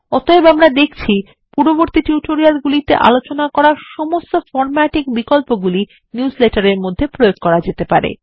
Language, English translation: Bengali, Hence,we see that all the formatting options discussed in the previous tutorials can be applied in newsletters, too